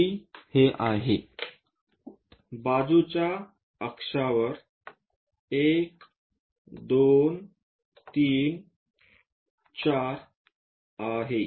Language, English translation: Marathi, So, C to 1, let us draw it 1, 2, 3, 4